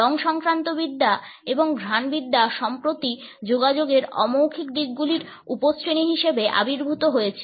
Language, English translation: Bengali, Chromatics as well as Ofactics have recently emerged as subcategory of non verbal aspects of communication